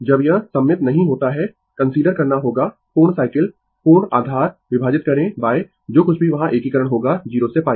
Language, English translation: Hindi, When it is not symmetrical, you have to consider the complete cycle total base divided by whatever integration will be there 0 to pi